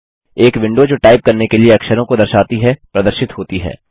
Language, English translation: Hindi, A window that displays the characters to type appears